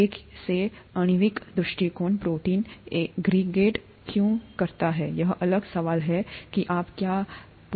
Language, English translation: Hindi, From a molecular point of view, why does a protein aggregate, that’s the next question that you’re going to ask